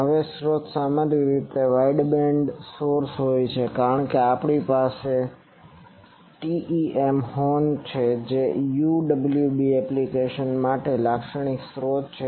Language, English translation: Gujarati, Now, the source usually is an wideband source as we have saying TEM horn that is a typical source for UWB applications